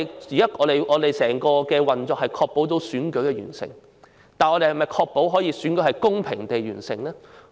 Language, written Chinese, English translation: Cantonese, 現時整個運作是為確保選舉完成，但我們能否確保選舉是公平地完成？, At present the entire operation is to ensure a smooth conduct of an election but can we be sure that the election is conducted in a fair manner?